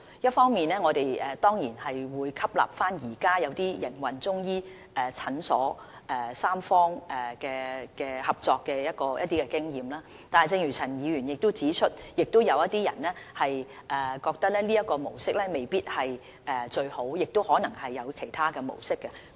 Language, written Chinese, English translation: Cantonese, 一方面，我們當然會吸納現時一些營運中醫診所的三方合作經驗，但亦正如陳議員指出，有些人認為這種模式未必最好，亦有可能會有其他的模式。, We will definitely draw on the experience of those existing Chinese medicine clinics that adopt the model of tripartite cooperation . But as Mr CHAN has pointed out some may not think this is the best model and they think that there may be other options